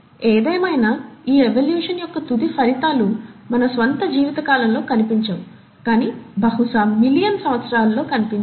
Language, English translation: Telugu, However, the end results of these evolutions are not going to be seen in our own lifetimes, but probably in millions of years down the line